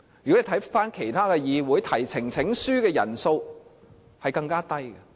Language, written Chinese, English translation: Cantonese, 如果看看其他議會，提交呈請書的人數更低。, If we look at other parliaments we will see that the number of Members required for presenting a petition is even lower